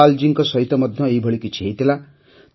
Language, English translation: Odia, Something similar happened with Dhanpal ji